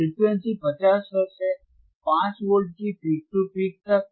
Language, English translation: Hindi, Frequency is 50 Hertz 50 Hertz right 50 Hertz frequency, 5 Volts peak to peak